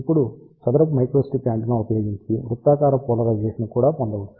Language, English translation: Telugu, Now, we can also obtain circular polarization using square microstrip antenna